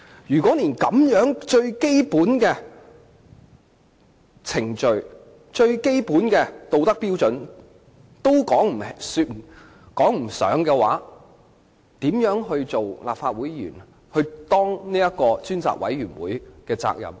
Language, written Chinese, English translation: Cantonese, 如果他連最基本的程序和道德標準也未能符合，他如何能盡其身為立法會議員或專責委員會委員的責任？, If he was unable to meet even the basic procedural and moral standards how could he possibly fulfil his responsibilities as a Legislative Council Member or a member of the Select Committee?